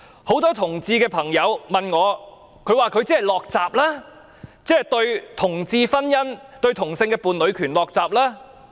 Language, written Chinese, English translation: Cantonese, 很多同志朋友問我，她是否"落閘"，對同志婚姻，對同性伴侶權"落閘"？, Many homosexual friends asked me if she was shutting the gate to gay marriage and the rights of homosexual couples